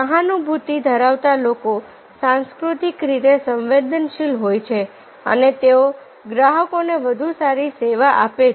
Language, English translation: Gujarati, and empathetic people are cross culturally sensitive and they give better service to the clients and customers